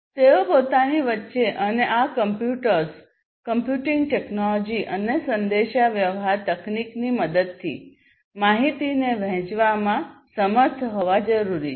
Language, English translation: Gujarati, They need to be able to share the information between themselves and for doing that with the help of these computers and computing technology and communication technology etc